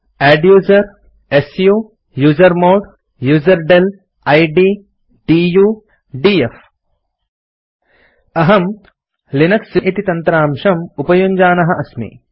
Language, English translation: Sanskrit, adduser su usermod userdel id du df I am using Linux for this tutorial